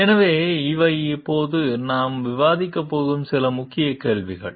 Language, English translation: Tamil, So, these are some of the Key Questions that we are going to discuss now